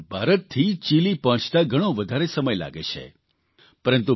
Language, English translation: Gujarati, It takes a lot of time to reach Chile from India